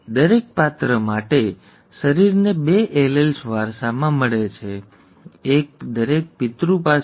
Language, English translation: Gujarati, For each character, the organism inherits two alleles, one from each parent